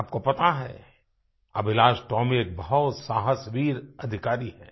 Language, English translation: Hindi, You know, AbhilashTomy is a very courageous, brave soldier